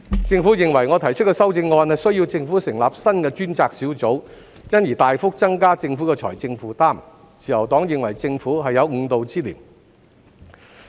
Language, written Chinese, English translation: Cantonese, 政府認為我提出的修正案需要政府成立新的專責小組，因而大幅增加政府的財政負擔，自由黨認為政府是有誤導之嫌。, The Administration suggested that a new taskforce would be necessitated by my amendment thus significantly increasing its financial burden . The Liberal Party considers the Administration misleading